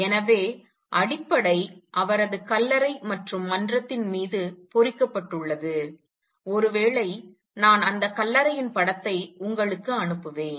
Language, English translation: Tamil, So, fundamental that it is also engraved on his tombstone and over the forum maybe I will send you a picture of that tombstone